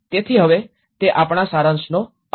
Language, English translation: Gujarati, So now, that is the end of the our summary